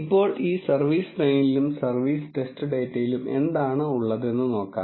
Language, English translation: Malayalam, Now, let us see what is there in this service train and service test data